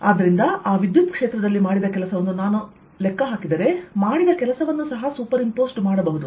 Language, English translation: Kannada, so if i calculate the work done in that electric field, that work done can also superimposed